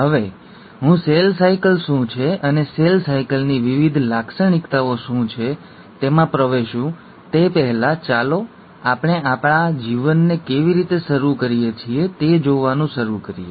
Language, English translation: Gujarati, Now before I get into what is cell cycle and what are the different features of cell cycle, let’s start looking at how we start our lives